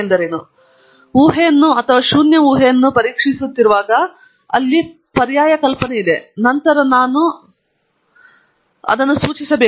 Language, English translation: Kannada, Whenever I am testing an hypothesis or any null hypothesis there is an alternative hypothesis, then I have to specify